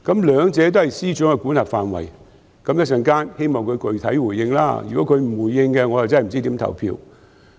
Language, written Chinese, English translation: Cantonese, 兩者都是司長的管轄範圍，希望司長稍後具體回應，如果他不回應，我不知道如何表決。, Since both matters fall within the remit of the Financial Secretary I hope that he can give a specific response in due course otherwise I will have no idea how to vote